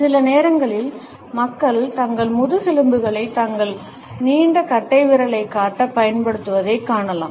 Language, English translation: Tamil, Sometimes we would find that people use their back pockets to show their protruding thumbs